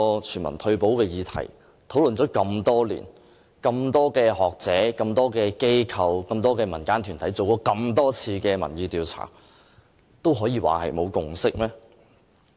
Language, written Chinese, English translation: Cantonese, 全民退休保障這議題討論了這麼多年，經這麼多位學者、這麼多間機構及這麼多個民間團體進行這麼多次的民意調查後，還可以說沒有共識嗎？, The topic of universal retirement protection has been discussed for years . There have also been numerous opinion polls conducted by various academics organizations and community groups . Can we still say that no social consensus has been reached yet?